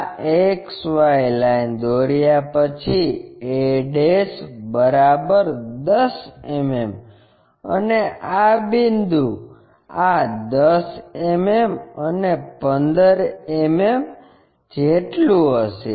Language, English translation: Gujarati, After drawing this XY line locate a ' is equal to 10 mm this point this will be 10 mm and a 15 mm